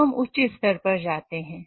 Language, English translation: Hindi, And then we go on to the higher value